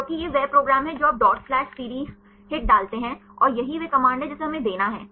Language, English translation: Hindi, Because this is the program that you put dot slash CD HIT and this is the command we have to give